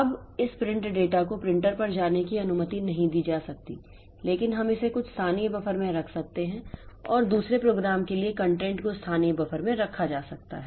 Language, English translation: Hindi, Now, this print data cannot be allowed to go to the printer but we can keep it in some local buffer and the for the second program the content may be kept in a local buffer and then later on when the printer is free that data may be printed